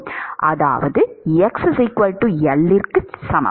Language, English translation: Tamil, That is x equal to plus L